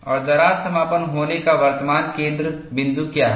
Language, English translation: Hindi, And what is the current focus of crack closure